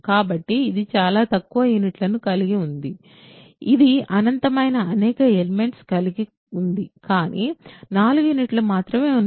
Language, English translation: Telugu, So, it has very few units, it has infinitely many elements, but only 4 units